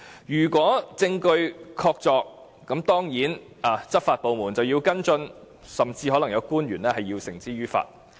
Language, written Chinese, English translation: Cantonese, 如果證據確鑿，執法部門當然要跟進，甚至可能有官員要被繩之於法。, If there is conclusive evidence the law enforcement department must follow up and perhaps some officials would be brought to justice